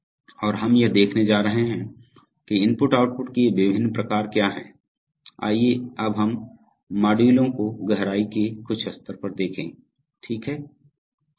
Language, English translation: Hindi, And we are going to see what these different types of I/O’s are, so let us look at these modules at some level of depth now, okay